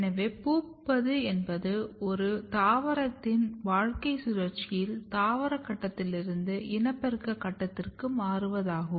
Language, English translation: Tamil, So, flowering is basically a transition from vegetative phase to the reproductive phase in the life cycle of a plant